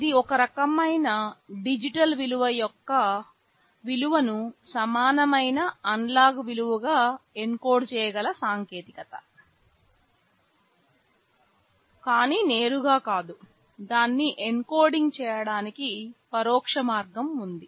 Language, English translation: Telugu, It is a technique where you can encode the value of some kind of digital value into an equivalent analog value, but not directly; there is an indirect way of encoding it